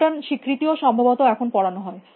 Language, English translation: Bengali, Pattern recognition is also being offered now I think